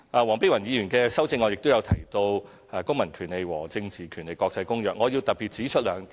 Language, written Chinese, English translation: Cantonese, 黃碧雲議員的修正案亦提到《公民權利和政治權利國際公約》，我特別要指出兩點。, The International Covenant on Civil and Political Rights ICCPR is also mentioned in Dr Helena WONGs amendment . I really have to make two comments here